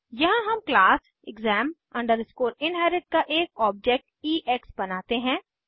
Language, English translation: Hindi, And here class exam inherit is the derived class